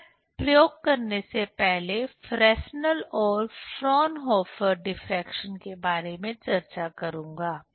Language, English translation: Hindi, I will discuss about Fresnel and Fraunhofer diffraction before doing experiment